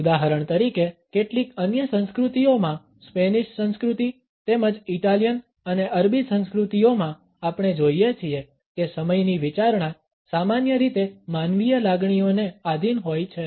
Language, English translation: Gujarati, In certain other cultures for example, in Spanish culture as well as in Italian and Arabic cultures, we find that the considerations of time are usually subjected to human feelings